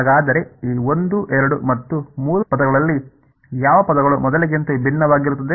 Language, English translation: Kannada, So, of these one, two and three terms which terms will be different from before